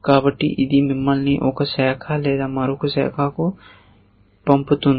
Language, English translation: Telugu, So, its sends you down one branch or the other